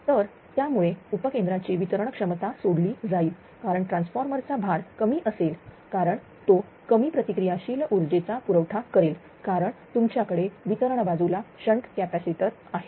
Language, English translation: Marathi, So, that is why it will release the distribution substation capacity because transformer loading will be less because it will supply less reactive power because you have shunt capacitors on the distribution side